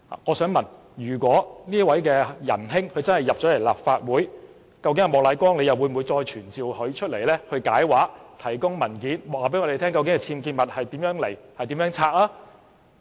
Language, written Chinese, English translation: Cantonese, 我想問，如果這位仁兄能進入立法會，究竟莫乃光議員會否要求傳召他解釋，提供文件，告訴我們究竟其僭建物從何而來、如何清拆？, May I ask if this person is elected to the Legislative Council will Mr Charles Peter MOK request to summon him to give an explanation and produce documents telling us about the locations of his UBWs and how he will remove them?